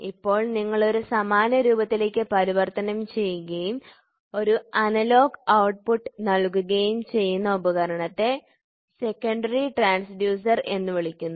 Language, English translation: Malayalam, Now you convert this into an analogous form and give an analogous output that device is called as secondary transducer